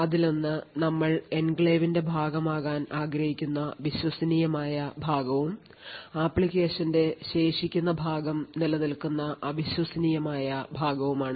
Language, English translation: Malayalam, One is the trusted part which you want to be part of the enclave and also the untrusted part where the remaining part of the application is present